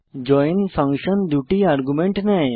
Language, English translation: Bengali, join function takes 2 arguments